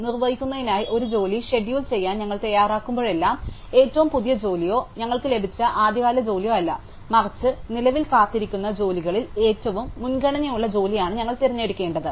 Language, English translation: Malayalam, Whenever, we are ready to schedule a job to execute, we must pick up not the latest job or the earliest job that we got, but the job which currently has the highest priority among the waiting jobs